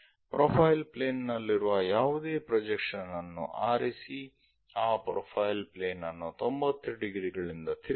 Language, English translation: Kannada, Something on the profile plane pick it the projection, rotate that profile plane by 90 degrees